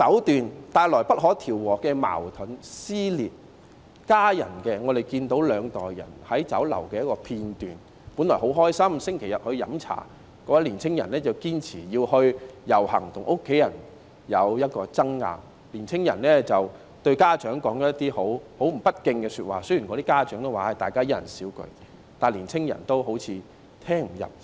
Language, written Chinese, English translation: Cantonese, 在家庭方面，我們看到有一段兩代人在酒樓的短片，本來星期日一家人飲茶是很開心的，但年青人堅持要遊行，跟家人發生爭拗，並對家長說了一些十分不敬的說話，雖然家長也說一人少一句，但年青人仿如聽不入耳般。, In respect of families we have seen a video about a family with two generations of its members having tea in a restaurant . At first they were happily having dim sum in a restaurant on a Sunday but the younger member insisted on joining the march . He argued with his family and said something disrespectful to his parents